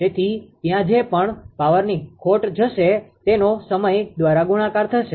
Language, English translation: Gujarati, So, whatever power losses will be there multiplied by time